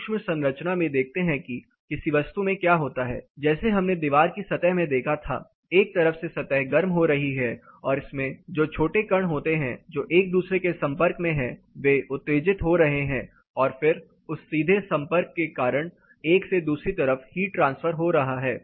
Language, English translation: Hindi, Looking into the micro structure what happens with in a body like we saw the wall case one side is getting heated up eventually there are smaller particles which are getting in touch with each other they are getting exited, and then because of that direct contact there is a heat transfer happening from one side of the other